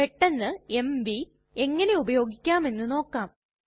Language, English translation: Malayalam, So let us quickly see how mv can be used